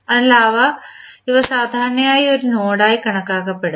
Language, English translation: Malayalam, So, these are generally considered as a node